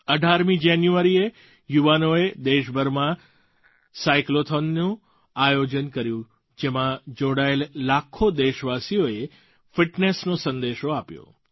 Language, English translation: Gujarati, Millions of countrymen participating in this Cyclothon spread the message of fitness